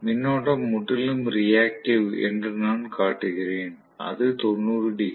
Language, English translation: Tamil, So I am showing the current to be completely reactive, it is that 90 degrees